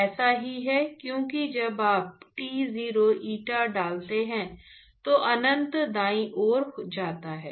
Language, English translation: Hindi, It is the same, because when you put T0 eta goes to infinity right